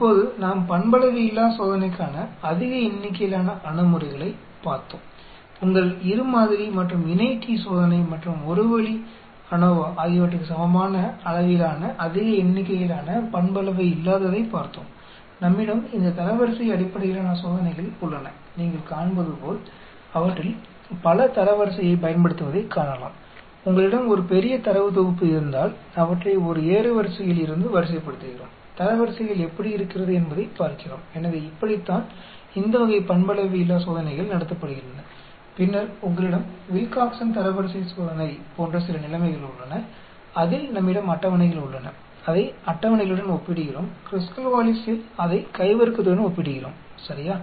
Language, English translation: Tamil, Now, we looked at large number of approaches for nonparametric test, looked at large number of approaches for nonparametric equivalent to your two sample and Paired t test and One way ANOVA we have all these rank based test, As you can see many of them makes use of the rank, if you have a large data set we rank them from an ascending order and see how the ranks are so that is how this type of nonparametric tests are conducted and then you have some cases like Wilcoxon Rank Test we have tables we compare it to the tables where as, Kruskal Wallis we compare it with the chi square ,ok